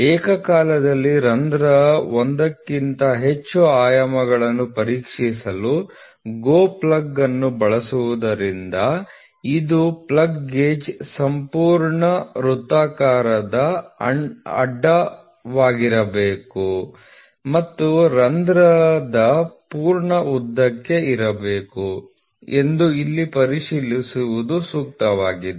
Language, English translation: Kannada, It is pertinent to check here that since the GO plug is used to check more than one dimension of a hole simultaneously, the GO plug gauge must be fully circular cross section and must be for full length of the hole